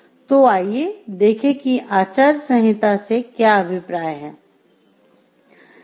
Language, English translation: Hindi, So, let us see what is meant by codes of ethics